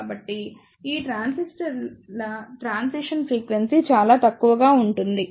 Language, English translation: Telugu, So, the transition frequency of these transistors will be relatively less